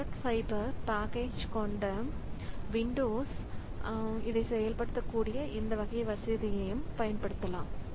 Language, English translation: Tamil, So, Windows with thread fiber package, so this can also be, they also use this type of facility in which this can be implemented